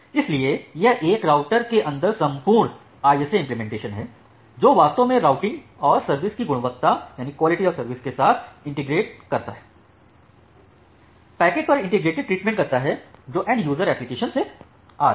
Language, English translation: Hindi, So, that it is the entire ISA implementation inside a router that, actually integrates the routing and quality of service together makes a integrated treatment over the packets which are coming from the end user applications